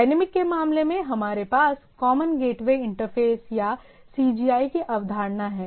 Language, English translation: Hindi, In case of like one common, in case of dynamic, we have a concept of Common Gateway Interface or CGI